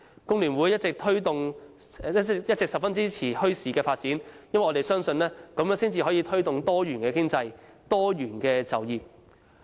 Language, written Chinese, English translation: Cantonese, 工聯會一直十分支持發展墟市，因為我們相信這樣可以推動多元經濟、多元就業。, FTU has always been supportive of the development of bazaars for we believe that bazaars can help promote a diversified economy and diversified employment opportunities